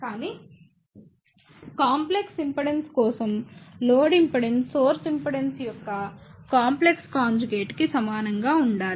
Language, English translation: Telugu, But for complex impedance, load impedance should be equal to complex conjugate of the source impedance